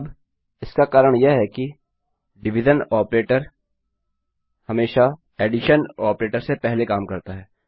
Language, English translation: Hindi, Now, the reason for this is that division operator will always work before addition operator